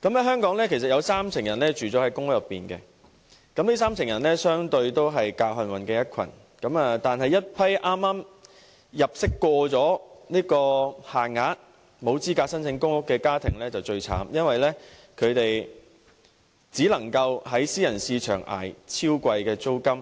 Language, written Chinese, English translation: Cantonese, 香港有三成人住在公屋，這些人相對上是較幸運的一群，但對於一群入息剛過限額，沒有資格申請公屋的家庭，他們境況最慘，只能在私人市場捱超貴租金。, In Hong Kong 30 % of people live in PRH . These people are relatively fortunate . As for those households with an income just exceeds the ceiling and are thus ineligible to apply for PRH they suffer most as they have to pay exorbitant rents in the private market